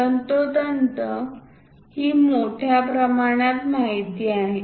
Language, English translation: Marathi, Precisely these are the large scale information